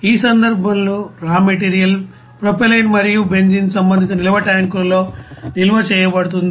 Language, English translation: Telugu, In this case raw material propylene and benzene are stored in the respective storage tanks